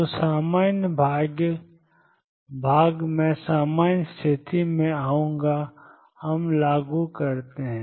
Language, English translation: Hindi, So, normal part I will come to normality we in force